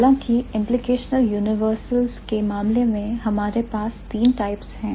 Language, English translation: Hindi, However, in case of implicational universals, we have three types